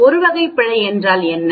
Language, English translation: Tamil, What is type 1 error